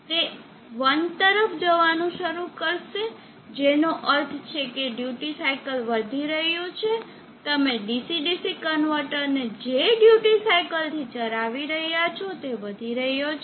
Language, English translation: Gujarati, It will start to move towards 1, which means duty cycle is increasing the duty cycling that you are feeding to the DC DC convertor is increasing